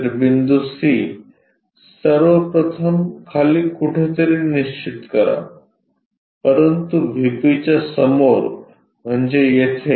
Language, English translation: Marathi, So, point C first of all locate somewhere below, but in front of VP means here